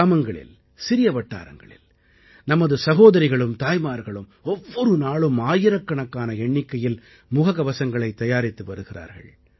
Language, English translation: Tamil, In villages and small towns, our sisters and daughters are making thousands of masks on a daily basis